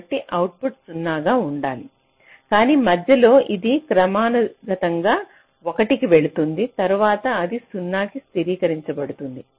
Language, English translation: Telugu, so the output should be zero, but in between it is going to one periodically, then it is stabilizing to zero